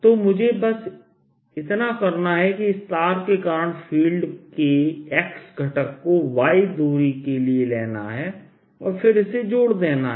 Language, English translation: Hindi, so all i need to do is take the x component of this field due to a wire at a distance, x and arrow distance here